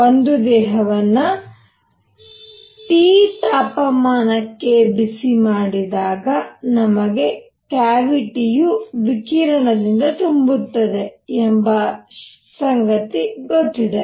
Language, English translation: Kannada, So, what is seen is that if the body is heated to a temperature T, it fills the cavity with radiation